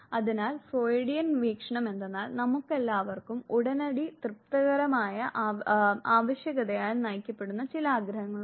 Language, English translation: Malayalam, So, Freudian view was that, we all have certain now desire which are driven by immediate gratification demand